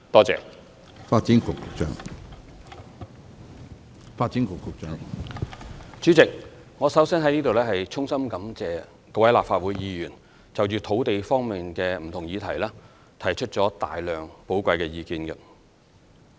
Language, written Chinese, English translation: Cantonese, 主席，我首先在這裏衷心感謝各位立法會議員就土地方面的不同議題提出了大量寶貴意見。, President first of all I would like to extend my heartfelt thanks to Members of the Legislative Council for making so many valuable suggestions on various land issues